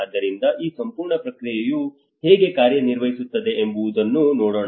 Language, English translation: Kannada, So let us see how this whole process is going to work